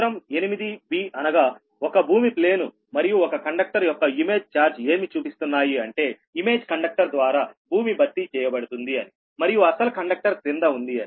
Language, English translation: Telugu, figure eight b, that means this one earth plane and image charge of one conductor shows that the earth is replaced by image conductor lies directly below the original conductor, right